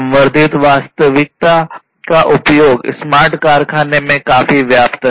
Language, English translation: Hindi, Use of augmented reality is quite rampant in smart factories, nowadays